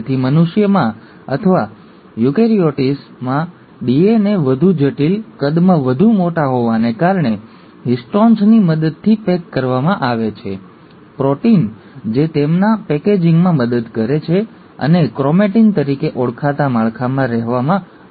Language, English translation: Gujarati, So in humans or in eukaryotes, the DNA being more complex, much more bigger in size is packaged through the help of histones, the proteins which help in their packaging and help them in holding in structures called as chromatin